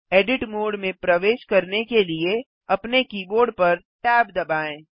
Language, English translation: Hindi, Press tab on your keyboard to enter the Edit mode